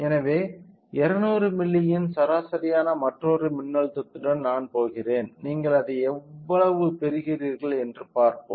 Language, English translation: Tamil, So, let me go with another voltage which is of mean of 200 milli and let us see how much you are getting it